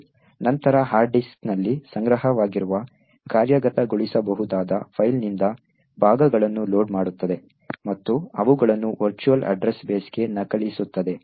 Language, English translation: Kannada, It would then load segments from the executable file stored on the hard disk and copy them into the virtual address base